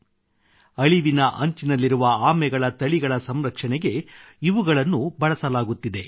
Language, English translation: Kannada, They are being used to save near extinct species of turtles